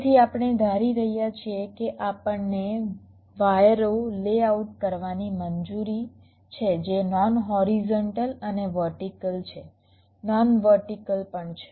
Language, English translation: Gujarati, so we are assuming that we are allowed to layout the wires which are non horizontal and vertical, non vertical also